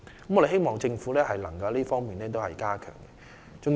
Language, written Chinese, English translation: Cantonese, 我們希望政府能夠加強這方面的工作。, We hope the Government can enhance its work in this respect